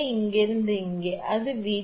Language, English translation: Tamil, From here to here, it is V 2